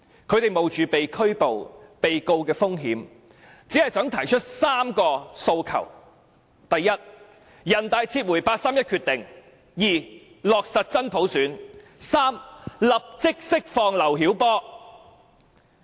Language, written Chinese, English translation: Cantonese, 他們冒着被拘捕和被控告的風險，只想提出3個訴求：第一，請人大撤回八三一決定；第二，落實真普選；第三，立即釋放劉曉波。, They just wanted to make three demands first withdraw the 31 August Decision made by the Standing Committee of the National Peoples Congress; second implement genuine universal suffrage; third release LIU Xiaobo immediately